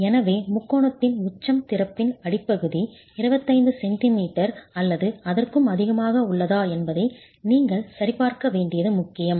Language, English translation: Tamil, So what is important is for you to check whether the apex of the triangle to the bottom of the opening is within 25 centimeters or more